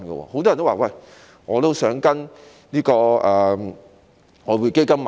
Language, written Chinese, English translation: Cantonese, 很多人也說：我也想跟隨外匯基金投資。, Many people say that they would also like follow the Exchange Fund in making investments